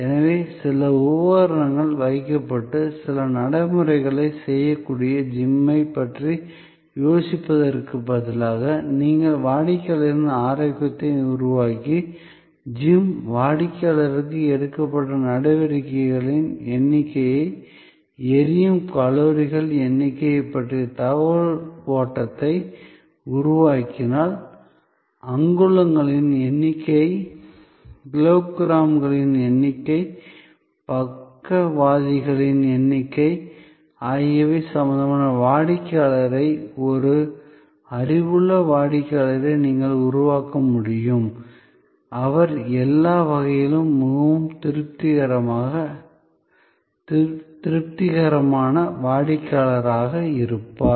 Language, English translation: Tamil, So, instead of thinking of a gym where certain equipment are kept and certain procedures can be performed, if you participate in the customer's need of generating wellness and create information flow to the gym customer about the number of steps taken, the number of calories burned, the number of inches, number of kilograms, number of strokes, you can create an involved customer, a knowledgeable customer, who in all probability will be a more satisfied customer